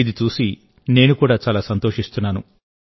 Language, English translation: Telugu, I am also very happy to see this